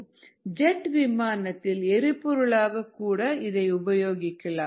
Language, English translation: Tamil, even jet fuel can be made from this process